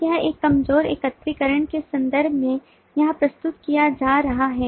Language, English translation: Hindi, so this is being represented here in terms of a weak aggregation